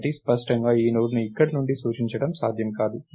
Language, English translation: Telugu, So, clearly this Node cannot be pointed from here